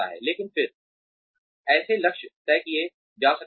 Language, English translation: Hindi, But then, such goals can be decided